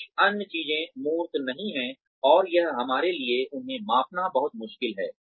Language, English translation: Hindi, Some other things are not tangible, and that makes it very difficult for us, to measure them